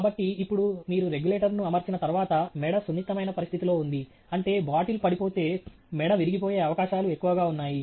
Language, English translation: Telugu, So, now, once you put the regulator, this is, the neck is in a delicate situation, meaning if the bottle were to fall, there is a great chance that the neck can break